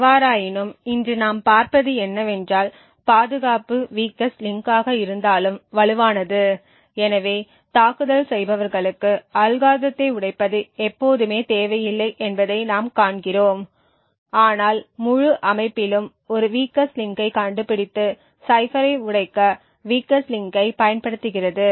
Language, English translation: Tamil, However what we will see today is that security is as strong as it is weakest link so we see that it may not be always required for attackers to break the algorithms but just find one weak link in the entire system and utilize that particular weak link to break the cipher